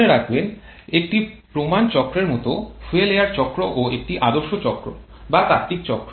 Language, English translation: Bengali, Remember similar to a standard cycle fuel air cycle is also an ideal cycle or a theoretical cycle